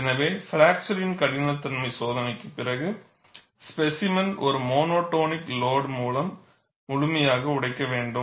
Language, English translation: Tamil, So, after a fracture toughness testing, the specimen has to be broken completely, by a monotonic loading